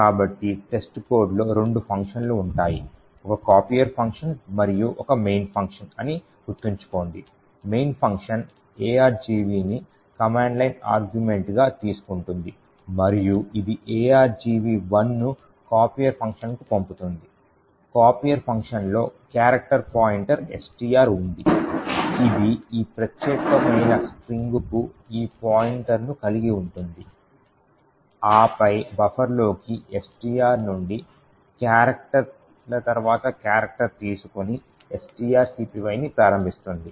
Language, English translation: Telugu, So recollect that the test code had two functions a copier function and a main function, the main function took the argv as command line arguments and it passed argv 1 to the copier function, the copier function had a character pointer STR which have this pointer to this particular string and then invoke string copy taking character by character from STR into this buffer